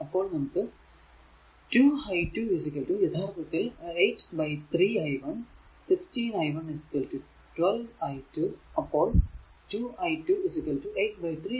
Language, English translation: Malayalam, So, 2 it was 2 i 1 plus 8 i 2 is equal to 5, but here you are putting i 1 is equal to i 2 plus i 3